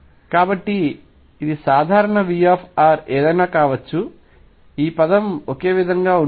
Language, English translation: Telugu, So, this is common V r could be anything this term would be the same